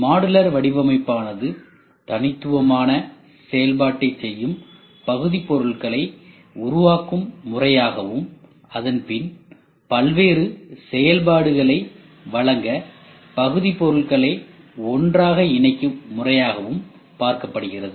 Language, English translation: Tamil, Modular design can be viewed as the process of producing units that perform discrete function and then connecting the units together to provide a variety of function